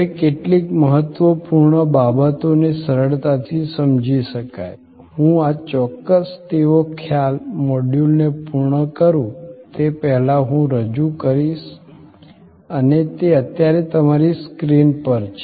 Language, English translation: Gujarati, Now, few important things and easily understood concepts, I will introduce before I conclude this particular module and that is on your screen right now